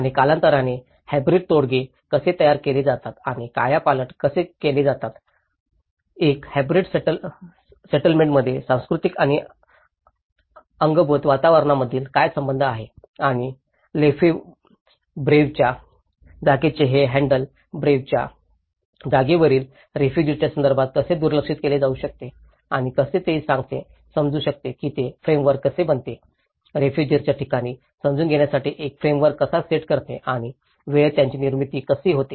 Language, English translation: Marathi, And how hybrid settlements are produced and transformed over time, what is the relationship between the cultural and the built environments in a hybrid settlement and how the theoretical understanding of this production of space the handle Lefebvreís space could be relooked in a refugee context and how it could be understood, how it becomes a framework, how it sets a framework to understand the refugee places and how they have been produced in time